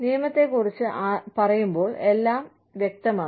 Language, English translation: Malayalam, When we talk about the law, everything is clear cut